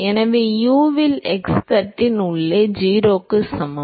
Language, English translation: Tamil, So, u at x equal to 0 inside the plate